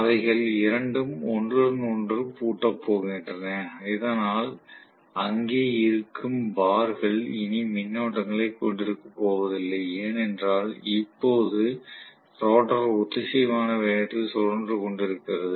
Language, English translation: Tamil, So, both of them are going to lock up with each other and because of which now the damper bars whatever they are sitting, they are not going to have any more currents, because now the rotor is rotating at synchronous speed